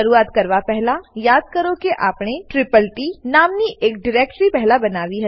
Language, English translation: Gujarati, Before we begin, recall that we had created a ttt directory earlier